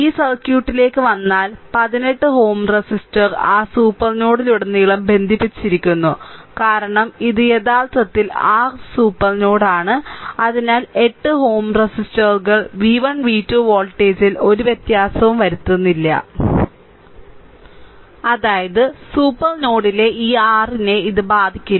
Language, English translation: Malayalam, So, if you come to that this circuit that 1 8 ohm resistor is connected across the your what to call that supernode because this is actually this is actually ah this is actually your ah super node, right; so, 8 ohm resistors actually not making any any difference of the voltage v 1, v 2, whatsoever, right